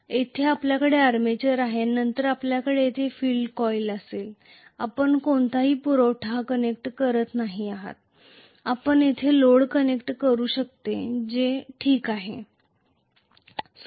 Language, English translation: Marathi, and then you are going to have the field coil here, you are not connecting any supply, you may connect a load here that is fine